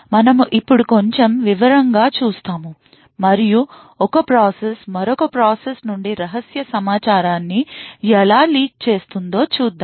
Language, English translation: Telugu, Now we will look a little more detail and we would see how one process can leak secret information from another process